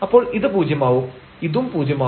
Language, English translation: Malayalam, So, this is here 0 and this is also 0